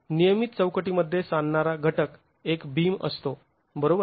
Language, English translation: Marathi, In a regular frame, the coupling element is a beam